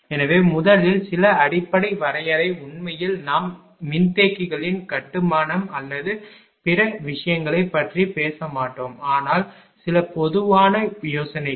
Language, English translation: Tamil, So, first ah some basic definition actually we will not talk about the construction or other thing of capacitors, but some general ideas